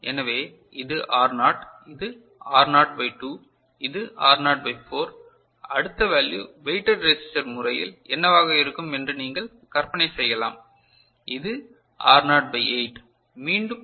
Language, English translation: Tamil, So, this is R naught, this is R naught by 2, this is R naught by 4 and you can imagine the next value will be in the weighted resistor based method, it is R naught by 8 right and again if you apply KCL just if you go on doing that